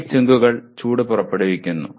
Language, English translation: Malayalam, Heat sinks produce dissipate heat